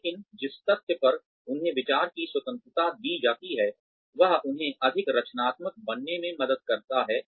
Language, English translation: Hindi, But, the fact they are given freedom of thought, helps them become more creative